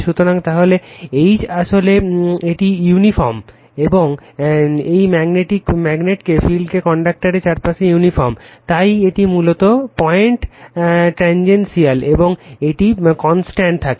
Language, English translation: Bengali, So, then H actually it is uniform this magnetic field is uniform around the conductor, so, it is basically tangential to this point, and it remains constant right